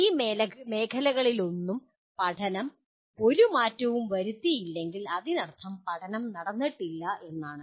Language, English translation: Malayalam, If learning did not make any difference to any of these areas that means the learning has not taken place